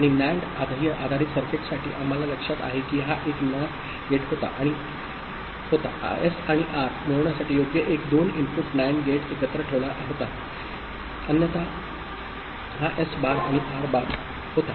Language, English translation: Marathi, And for NAND based circuit we remember that this was a NOT gate, right one 2 input NAND gate were put together to get S and R otherwise this was S bar and R bar, right